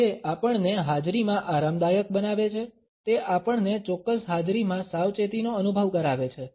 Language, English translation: Gujarati, It makes us comfortable in a presence, it makes us to feel cautious in a particular presence